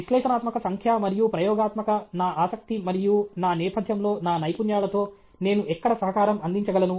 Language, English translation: Telugu, With my skills in analytical, numerical, and experimental, my interest and my background, where is it I can make a contribution